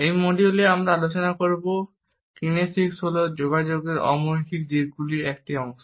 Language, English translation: Bengali, In this module, we would discuss Kinesics is a part of nonverbal aspects of communication